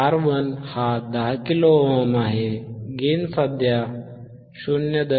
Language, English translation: Marathi, 1 R 1 is 10 kilo ohm, gain is 0